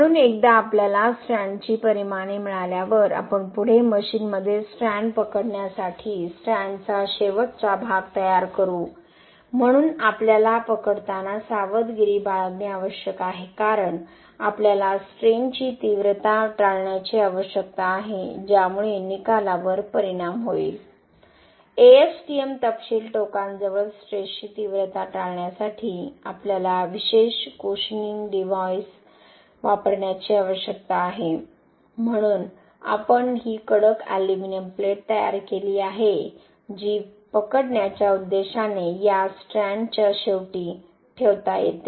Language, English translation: Marathi, So once we get the dimensions of the strand we will next prepared the end region of the strand for gripping the strand in the machine, so we need to be careful while gripping because we need to avoid stress concentration which will affect the results, ASTM specification gives we need to use special cushioning device to avoid stress concentration near the ends, so for that purpose we have prepared this hardened aluminium plate which can be placed at the end of this strands for gripping purpose